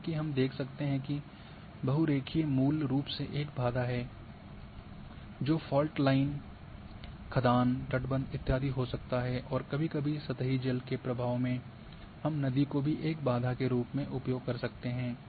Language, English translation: Hindi, So, as we can see that polyline is a basically is a barrier maybe fault line maybe quasar, if maybe a dice and so on so forth and in sometimes in surface water flow we can use river as a barrier as well